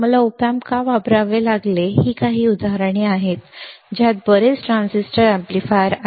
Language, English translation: Marathi, Why I have had to use op amp, why I have use op amp right, these are just few examples there are lot transistor amplifiers